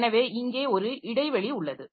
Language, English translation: Tamil, So, there is a gap